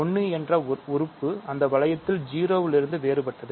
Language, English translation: Tamil, So, 1 is different from 0 in that ring